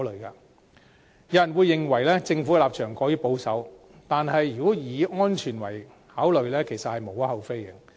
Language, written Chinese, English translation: Cantonese, 有人會認為，政府的立場過於保守，但如果以安全為考慮，其實是無可厚非的。, Some people may think that the Governments position is rather conservative . But it is actually reasonable to make consideration from the angle of safety